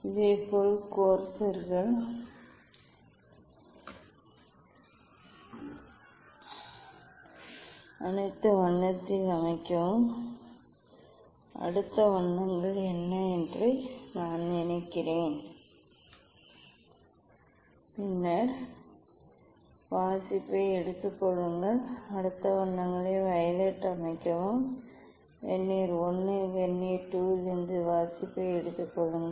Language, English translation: Tamil, Similarly, set the corsairs at next colour ok, what is the next colours I think green Then take the reading then set the next colours violet take the reading from Vernier I and Vernier II calculate the deviation